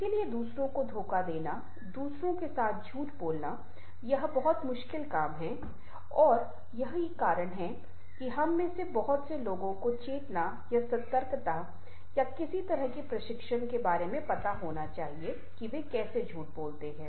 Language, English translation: Hindi, so deceiving others, telling lie with others, it is very difficult task and thats why we one requires lots of you know, consciousness or alert, or some sort of training how to tell a lie